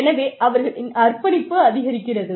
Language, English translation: Tamil, So, their commitment increases